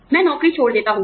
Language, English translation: Hindi, I leave the job